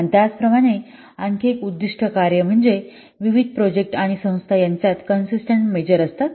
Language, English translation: Marathi, And similarly, another objective is it acts as a consistent measure among various projects and organizations